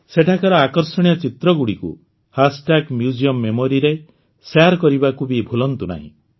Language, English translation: Odia, Don't forget to share the attractive pictures taken there on Hashtag Museum Memories